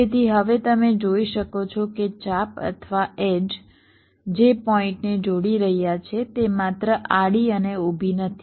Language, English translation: Gujarati, so now you can see that the arcs, or the edges that are connecting the points, they are not horizontal and vertical only